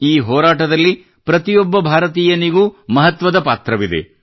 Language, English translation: Kannada, Every Indian has an important role in this fight